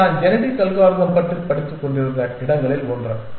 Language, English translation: Tamil, So, that is the general idea behind genetic algorithms